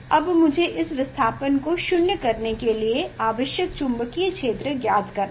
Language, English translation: Hindi, now I have to find out the magnetic field require to make it null